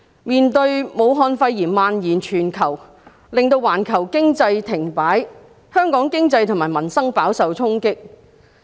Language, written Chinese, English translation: Cantonese, 面對武漢肺炎蔓延全球，令到環球經濟停擺，香港經濟及民生飽受衝擊。, The global spread of Wuhan pneumonia has brought worldwide economic activities to a halt and dealt a hard blow to our economy and peoples livelihood